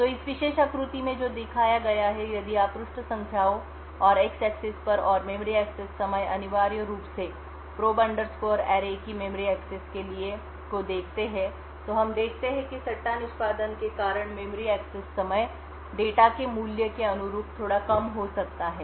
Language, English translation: Hindi, So what has been shown in this particular figure is if you look at page numbers and on the x axis and the memory access time essentially make this memory access to probe underscore array what we see is that the memory access time due to the speculative execution may be a bit lower corresponding to the value of data